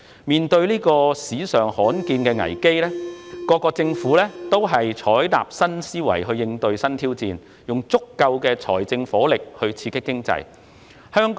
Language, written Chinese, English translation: Cantonese, 面對史上罕見的危機，各國政府均採納新思維應對新挑戰，以足夠的財政火力刺激經濟。, In the face of this rare crisis in history the governments of various countries have adopted a new mindset to tackle the new challenges and flexed their fiscal muscles to boost the economy